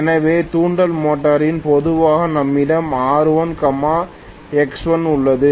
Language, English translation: Tamil, So in induction motor normally we have R1 X1, we will have very clearly XM